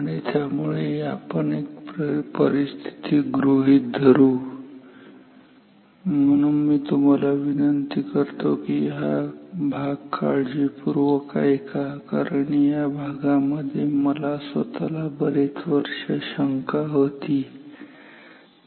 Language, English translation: Marathi, And so, let us consider of a situation and so, I particularly request you to listen to this particular topic very carefully because this is one topic which I myself had confusion or doubt for many years ok